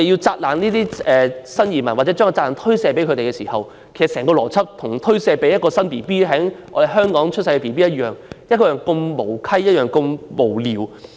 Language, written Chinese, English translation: Cantonese, 責怪新移民，或將責任推卸予他們，其實與將責任推卸予一名在香港出生的嬰兒一樣無稽、一樣無聊。, Reprimanding new arrivals or shirking the responsibility to them is actually as ridiculous and pointless as putting the blame on a baby born in Hong Kong